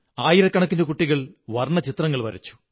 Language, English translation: Malayalam, Thousands of children made paintings